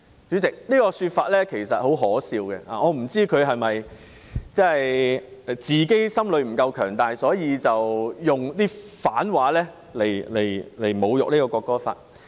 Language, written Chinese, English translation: Cantonese, 主席，他的說法很可笑，我不知道他是否心理不夠強大，所以用反話來侮辱《條例草案》。, Chairman his remarks are absurd . I wonder whether he is not strong enough psychologically and thus needs to insult the Bill with irony